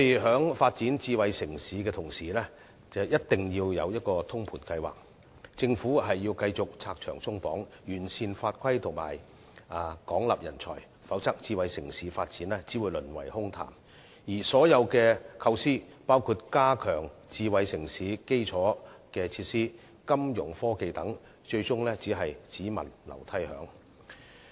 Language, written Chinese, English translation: Cantonese, 在發展智慧城市的同時，政府一定要有通盤計劃，繼續拆牆鬆綁，完善法規及廣納人才，否則智慧城市發展只會淪為空談，而所有構思，包括加強智慧城市的基礎設施、金融科技等，最終只會變成"只聞樓梯響"。, While pursuing smart city development the Government must have holistic planning remove barriers and restrictions improve the laws and regulations and recruit a wide pool of talents otherwise smart city development will only be reduced to empty talk . Moreover all ideas including those to enhance the infrastructure and financial technology of a smart city will eventually be all thunder but no rain